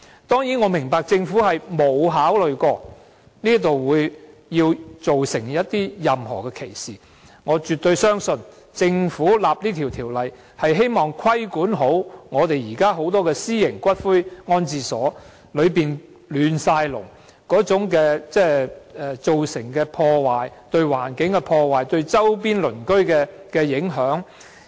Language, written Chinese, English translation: Cantonese, 當然，我明白政府並沒有考慮到它會造成任何歧視，而我亦絕對相信政府的立法原意是規管現時眾多私營骨灰安置所的混亂情況及所造成的破壞，包括對環境的破壞和對周邊鄰居的影響。, Certainly I understand that the Government has not considered the possibility of the legislation constituting any discrimination . Moreover I absolutely trust that the legislative intent of the Government is to regulate the chaotic situation and damage currently caused by the numerous columbaria including the damage caused to the environment and the impact on nearby residents